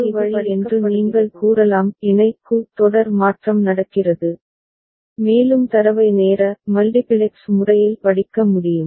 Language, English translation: Tamil, So, this is in a way you can say it is a parallel to serial conversion is happening and the data is able to be read through a time multiplexed manner